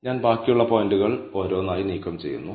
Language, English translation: Malayalam, Now, I am removing the remaining points one by one